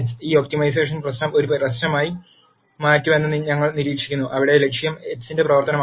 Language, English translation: Malayalam, We observe that this optimization problem becomes a problem, where the objective is a function of x